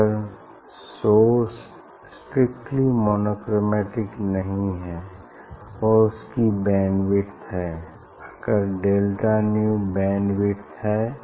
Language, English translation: Hindi, Actually, the if source is not strictly monochromatic if it has bandwidth, if delta nu bandwidth